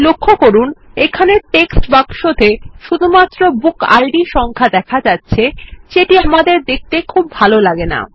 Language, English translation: Bengali, Notice that the text box here will only display BookId numbers which are not friendly on our eyes